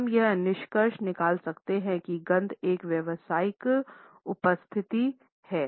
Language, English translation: Hindi, So, we can conclude that a smell has a commercial presence